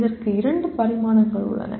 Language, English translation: Tamil, There are two dimensions to this